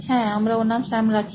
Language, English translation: Bengali, Yeah, let us name him Sam